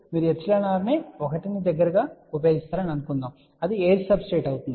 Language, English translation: Telugu, Suppose you use epsilon r close to 1 which will be like an air substrate